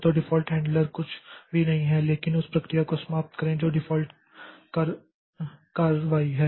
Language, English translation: Hindi, So, default handler is nothing but terminate the process